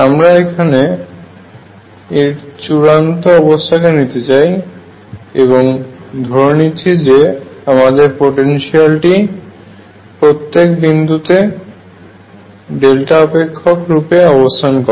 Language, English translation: Bengali, And I am going to take an extreme in this and say that my potential actually consists of delta functions at each point